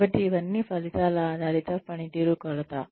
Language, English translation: Telugu, So, all of this would be, results oriented performance measurement